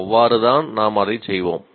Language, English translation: Tamil, That is a way we will work it out